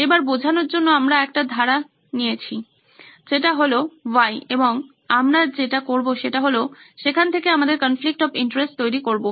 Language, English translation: Bengali, Now for illustration purposes, we have picked one flow of that Y and we are going to work with that and then build up our conflict of interest from there